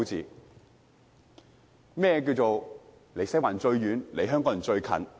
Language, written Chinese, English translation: Cantonese, 甚麼是"離西環最遠，離香港人最近"？, What is the meaning of farthest away from Western District and closest to Hong Kong people?